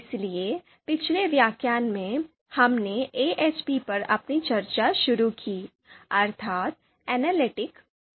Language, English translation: Hindi, So in the previous lecture, we started our discussion on AHP that is Analytic Hierarchy Process, so let’s continue that discussion